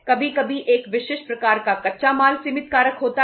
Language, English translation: Hindi, Sometime a specific type of the raw material are limiting factors